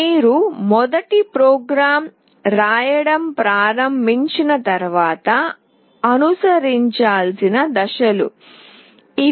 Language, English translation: Telugu, These are the steps that need to be followed up once you start writing the first program